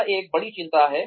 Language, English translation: Hindi, That is one big concern